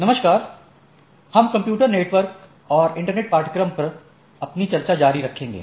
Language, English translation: Hindi, Hello, so we will continue our discussion on the course on Computer Networks and Internet